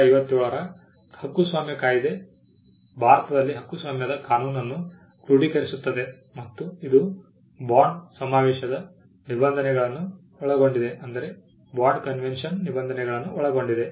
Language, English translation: Kannada, The copyright act of 1957 consolidates the law on copyright in India and it incorporates provisions of the bond convention